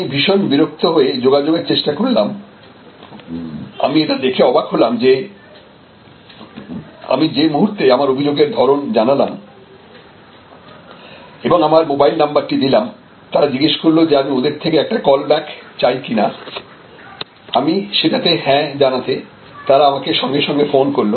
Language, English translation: Bengali, I was quite annoyed and I try to contact back and I found to my pleasant surprise that there was as soon as I put in my nature of complaint and I put in my mobile number, then they said you want an immediate call back, I clicked yes and a call came through